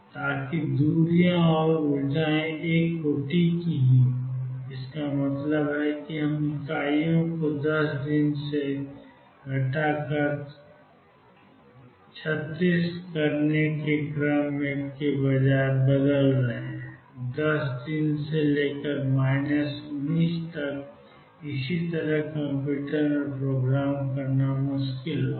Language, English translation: Hindi, So, that the distances and energies are of the order of one; that means, we changing units rather than of the order of being 10 days to minus 36; 10 days to minus 19 and so on that will be very difficult to program in a computer